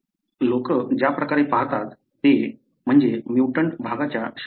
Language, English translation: Marathi, The way the people look at is the neighbouring regions of the mutated region